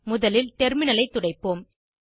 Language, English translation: Tamil, Let us first clear the terminal